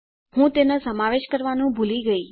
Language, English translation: Gujarati, I forgot to include that